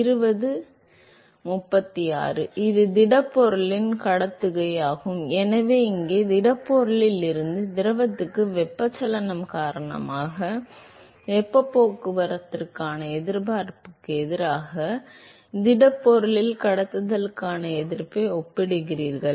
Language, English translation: Tamil, It is the conduction of the solid, so here, there you are comparing the resistance to conduction in the solid versus the resistance to heat transport because of convection from the solid to the fluid